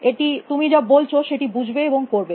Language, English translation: Bengali, Understand what you saying and do that